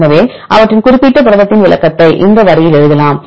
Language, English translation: Tamil, So, you can write the description of their particular protein in that line